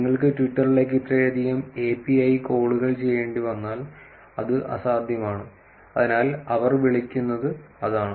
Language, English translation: Malayalam, If you had to make so much of API calls to Twitter, it is going to be impossible, so that is what they call